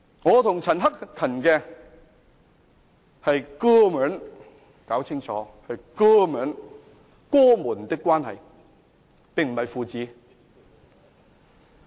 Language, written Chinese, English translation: Cantonese, 我和陳克勤議員是"哥兒們"，我們是哥兒們的關係，並非父子。, Mr CHAN Hak - kan and I are bros We treat each other like brothers not a father - and - son relationship . I so submit